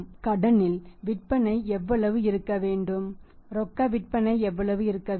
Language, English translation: Tamil, How much has to be on the cash on how much sales have to be on the credit